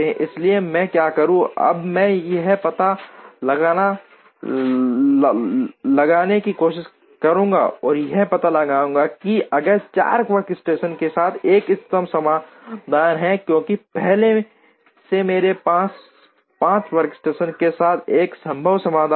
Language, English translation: Hindi, So, what I will do is, I will now try and solve to find out, if there is an optimum solution with 4 workstations, because already I have a feasible solution with 5 workstations